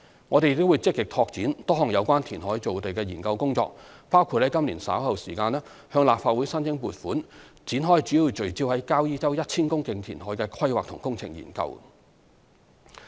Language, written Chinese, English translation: Cantonese, 我們亦會積極拓展多項有關填海造地的研究工作，包括於今年稍後時間，向立法會申請撥款展開主要聚焦在交椅洲 1,000 公頃填海的規劃及工程研究。, We will also proactively take forward a number of studies on reclamation of land including the planning and engineering studies focused on the 1 000 - hectare reclamation near Kau Yi Chau for which we will seek funding from the Legislative Council later this year